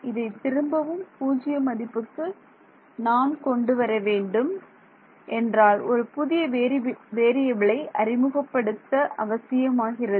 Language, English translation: Tamil, If I want to bring it back down to 0, I need to introduce a new variable